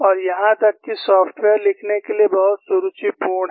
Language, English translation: Hindi, And even the software is very elegant to write